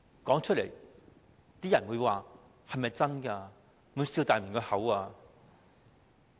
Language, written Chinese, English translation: Cantonese, 說出來，大家都會問這是否真的？, If it says such words we will ask if this is true